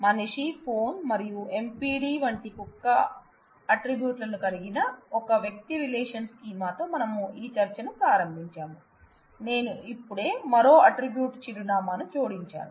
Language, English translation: Telugu, So, we started this discussion with a person relational scheme, having man, phone and dog likes MPD, I have added I have just modified and I have added another attribute address